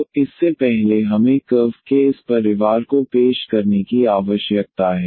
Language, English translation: Hindi, So, before that we need to introduce this family of curves